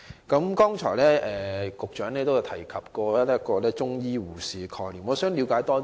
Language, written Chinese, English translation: Cantonese, 局長剛才提到中醫護士的概念，我想了解更多。, I wish to know more about the concept of Chinese medicine nurses which the Secretary has referred to